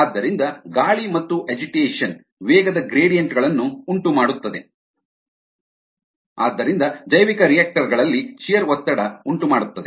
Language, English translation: Kannada, so aeration and agitation cause velocity gradients and hence shear stress in bioreactors